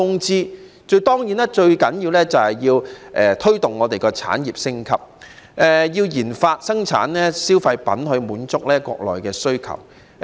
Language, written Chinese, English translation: Cantonese, 最重要的是推動香港產業升級，也要研發和生產消費品來滿足國內需要。, The most important point is to promote the upgrading of industries in Hong Kong and to research develop and produce consumer products to meet the countrys demand